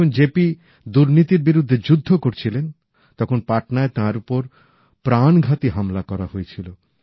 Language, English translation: Bengali, When JP was fighting the crusade against corruption, a potentially fatal attack was carried out on him in Patna